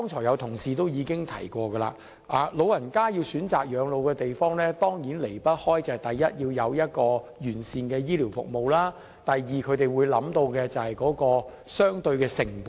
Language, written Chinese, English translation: Cantonese, 有同事剛才已經提到，長者選擇養老的地方當然離不開：第一，要有完善的醫療服務。第二，他們會考慮相對的成本。, As some colleagues already mentioned when choosing a place to spend their twilight years the elderly will surely consider firstly whether it has comprehensive health care services and secondly whether the costs will be relatively lower